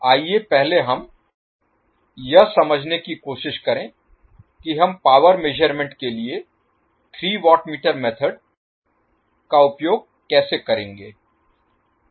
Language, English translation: Hindi, Let us first try to understand how we will use three watt meter method for power measurement